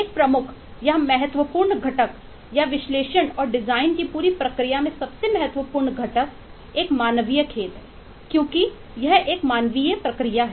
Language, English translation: Hindi, a major or significant component, or the most significant component in the whole process of analysis and design is a human game, because it is a human process